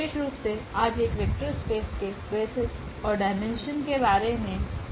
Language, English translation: Hindi, In particular today will be talking about the basis of a vector space and also the dimension of a vector space